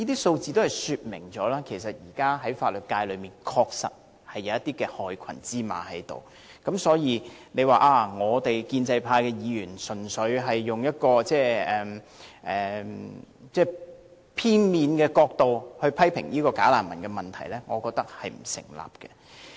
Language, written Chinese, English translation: Cantonese, 由此可以說明，現時法律界確實有些害群之馬，若說建制派議員純粹從片面角度批評"假難民"問題，我認為並不成立。, It can thus be seen that there are in fact some black sheep in the legal sector and I think it would not be a valid argument to suggest that pro - establishment Members are making one - sided comments about the problem of bogus refugees